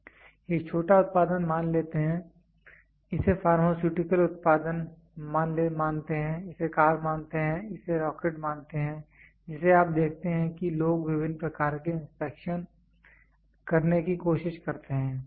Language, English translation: Hindi, Let it be a small product, let it be the pharmaceutical product, let it be the car, let it be rocket you see people try to do different types of inspection